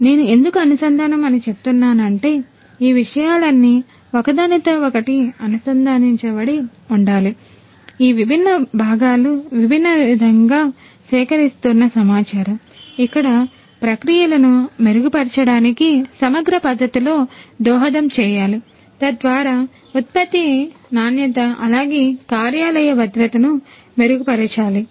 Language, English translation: Telugu, Why I say integrated is all of these things will have to be interconnected, all these different components, all these different data that are coming, all these should contribute in a holistic manner in an integrated manner in order to improve the processes, the product quality as well as the work place safety